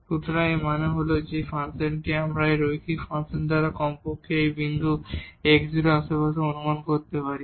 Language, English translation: Bengali, So that means, this function we can approximate by this linear function at least in the neighborhood of this point x naught